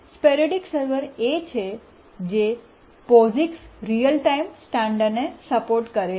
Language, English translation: Gujarati, The sporadic server is the one which is supported by the POGICs real time standard